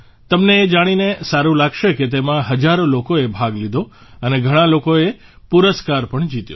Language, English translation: Gujarati, You wouldbe pleased to know that thousands of people participated in it and many people also won prizes